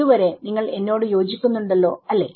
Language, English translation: Malayalam, You agree with me so far